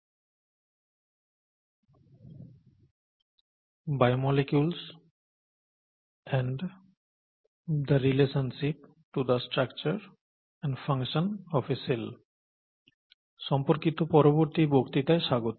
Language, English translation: Bengali, Welcome to the next lecture on “Biomolecules and the relationship to the structure and function of a cell